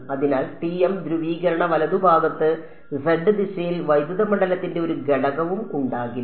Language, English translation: Malayalam, So, therefore, there is going to be no component of electric field in the z direction in TM polarization right